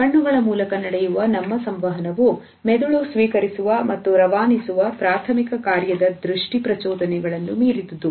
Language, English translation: Kannada, Our communication through eyes goes beyond the primary function of receiving and transmitting visual stimuli to the brain